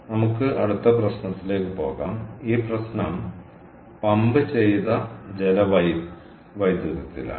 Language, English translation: Malayalam, ok, ok, lets move on to the next problem, and this problem is on pumped hydro